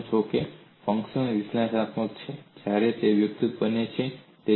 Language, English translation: Gujarati, You know if a function is analytic, when it is having a derivative